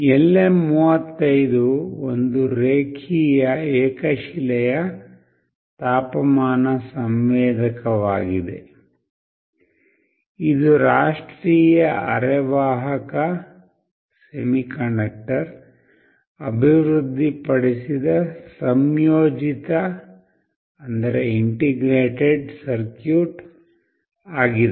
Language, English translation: Kannada, LM35 is a linear monolithic temperature sensor, this is an integrated circuit developed by National Semiconductor